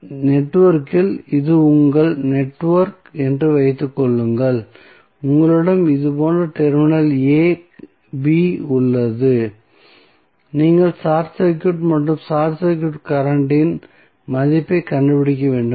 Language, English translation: Tamil, So, in the network suppose, this is your network and you have terminal AB like this you have to simply short circuit and find out the value of what is the short circuit current